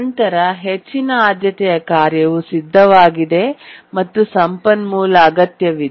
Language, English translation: Kannada, So, the high priority task is ready and needs the resource actually